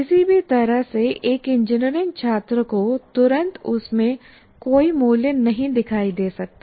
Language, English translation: Hindi, In either way, an engineering student may not see any value in that immediately